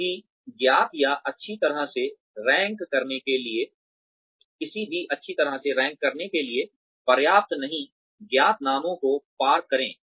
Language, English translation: Hindi, Cross out the names of, any known or well enough to rank, any not known well enough to rank